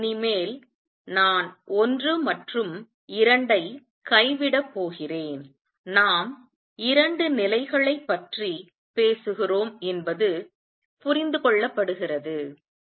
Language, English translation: Tamil, From now on I am going to drop 1 and 2; it is understood that we are talking about two levels